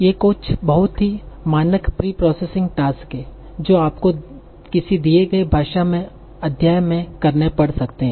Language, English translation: Hindi, So these are some very, very standard preprocessing tasks that you might have to do on a given text in a given language